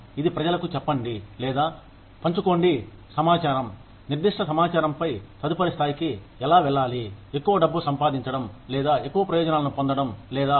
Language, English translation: Telugu, It is to tell people, or to share the information, on specific information, on how to go to the next level, of earning more money, or getting more benefits, or whatever